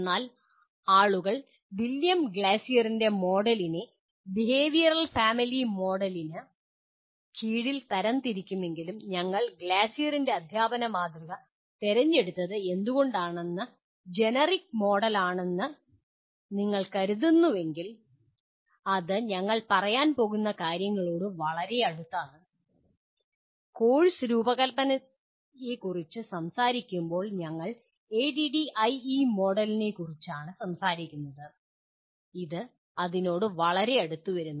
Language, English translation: Malayalam, But if you consider what you may call was generic model though people classify William Glasser’s Model under behavioral family model but why we chose Glasser’s model of teaching is, it comes pretty close to what we are going to when we talk about course design, we are talking of ADDIE Model and this comes pretty close to that